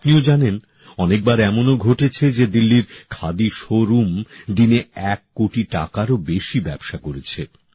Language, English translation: Bengali, You too know that there were many such occasions when business of more than a crore rupees has been transacted in the khadi showroom in Delhi